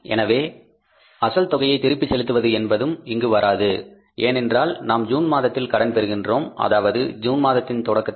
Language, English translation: Tamil, So, repayment of principal is also not going to be here because we are borrowing in the month of June in the beginning of the June